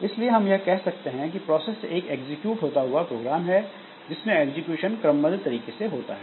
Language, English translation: Hindi, So, a process is a program in execution, and its execution will go in a sequential fashion